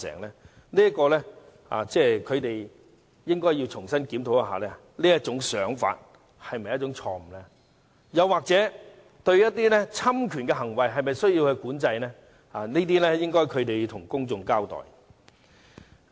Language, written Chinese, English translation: Cantonese, 我認為他們應該重新檢討，他們這種想法是否錯誤，以及對侵權行為應否加以管制，他們需要就這些事向公眾交代。, I think they should reconsider if they had been wrong in thinking so and whether regulation should be imposed on infringement activities . They should explain their case to the public on these issues